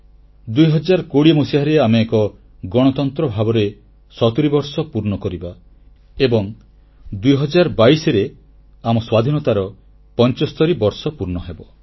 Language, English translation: Odia, In the year 2020, we shall complete 70 years as a Republic and in 2022, we shall enter 75th year of our Independence